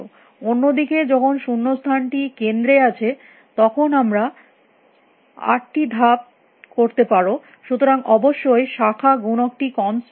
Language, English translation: Bengali, Whereas, when the blank is in the center you can do four moves so; obviously, the branching factor is not constant